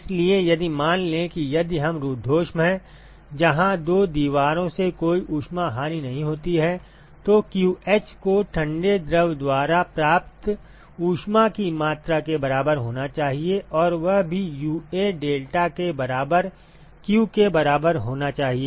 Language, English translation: Hindi, So, if supposing if it is adiabatic where there is no heat loss from the two walls, then qh should be equal to the amount of heat that is gained by the cold fluid and that also should be equal to q equal to UA deltaT ok